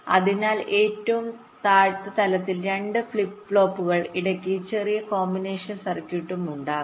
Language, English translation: Malayalam, so in the lowest level there will be two flip flop with small combination circuit in between